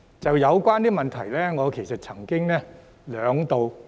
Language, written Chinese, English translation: Cantonese, 就有關問題，我曾兩度......, Regarding the above questions I have asked twice